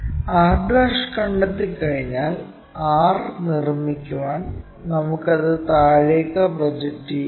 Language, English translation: Malayalam, Once r' is there we can project that all the way down to construct r